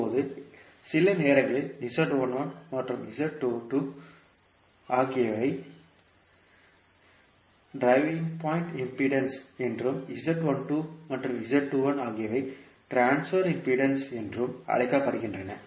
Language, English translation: Tamil, Now, sometimes the Z1 and Z2 are called driving point impedances and Z12 and Z21 are called transfer impedance